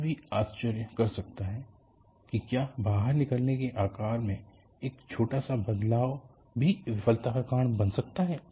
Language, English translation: Hindi, One can wonder whether, even a small change in the shape of an opening can cause failure